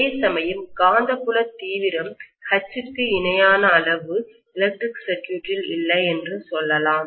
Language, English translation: Tamil, Whereas the magnetic field intensity H does not have an equivalent quantity I would say in the electrical circuit